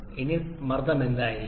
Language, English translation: Malayalam, Now what will we the pressure